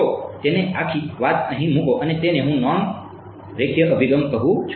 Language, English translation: Gujarati, So, put it put the whole thing over here and that is what I am calling a non linear approach ok